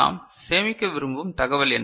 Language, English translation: Tamil, And what is the information that we want to store